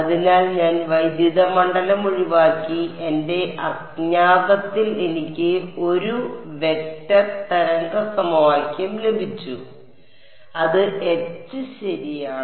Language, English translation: Malayalam, So, I have eliminated the electric field and I have got 1 vector wave equation in my unknown which is H right